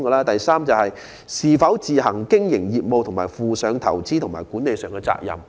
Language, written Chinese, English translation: Cantonese, 第三，是否須自行經營業務和負上投資及管理上的責任。, Thirdly is the person carrying on business on his own account with investment and management responsibilities?